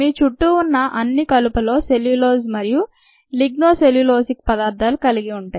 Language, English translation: Telugu, all the wood around you contains cellulose and ligno cellulosic materials